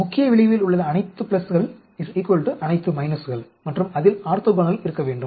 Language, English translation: Tamil, All the plus in the main effect should be equal to all the minuses and it should have orthogonal